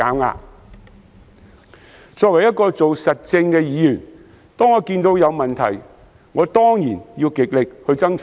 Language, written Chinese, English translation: Cantonese, 我作為做實政的議員，每當看到有問題，當然要極力爭取解決。, As a legislator doing real deeds I will go all out to solve whatever problems that come to my attention